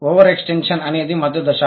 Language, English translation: Telugu, What is the intermediate stage